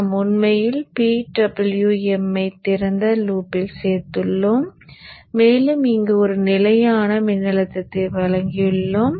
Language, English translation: Tamil, We had actually included the PWM in the open loop itself and we had given a constant voltage here